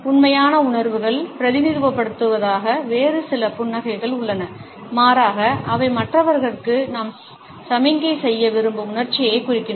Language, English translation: Tamil, And there are some other smiles which do not represent true feelings, rather they represent the emotion which we want to signal to others